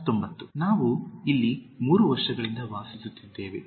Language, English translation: Kannada, 19) We’ve lived here since three years